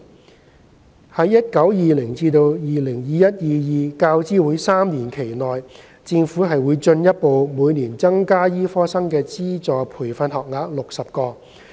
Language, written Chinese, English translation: Cantonese, 在 2019-2020 至 2021-2022 教資會3年期內，政府將會進一步每年增加醫科生的資助培訓學額60個。, In the 2019 - 2020 to 2021 - 2022 UGC triennium the Government will further increase the number of UGC - funded medical training places by 60 each year